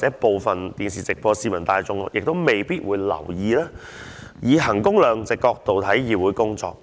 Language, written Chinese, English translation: Cantonese, 收看電視直播的市民未必會留意，可以衡工量值的角度來看議會工作。, Members of the public who are watching the live broadcast of this debate may not notice that the work of this Council can be viewed from a value - for - money perspective